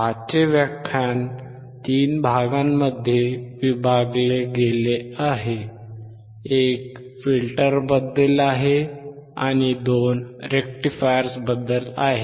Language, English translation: Marathi, Today’s lecture is divided into 3 parts, one is about the filters, and two about rectifiers